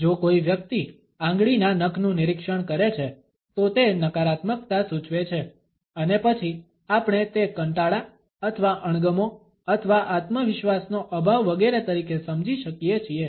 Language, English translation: Gujarati, If someone inspects the fingernails, it suggests negativity and then we can understand, it as a boredom or disinterest or lack of confidence, etcetera